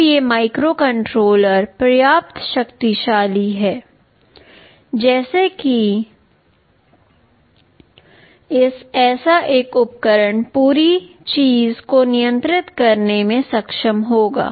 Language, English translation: Hindi, Now these microcontrollers are powerful enough, such that a single such device will be able to control the entire thing